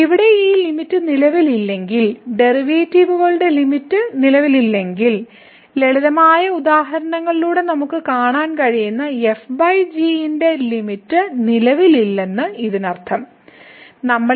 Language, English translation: Malayalam, So, if this limit here does not exist, if the limit of the derivatives does not exist; it does not mean that the limit of divided by does not exist which we can see by the simple example